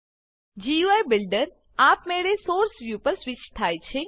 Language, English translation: Gujarati, The GUI Builder automatically switches to the Source view